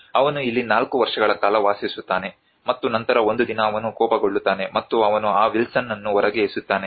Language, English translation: Kannada, He lives here for 4 years and then one day he gets angry and he throws out that Wilson out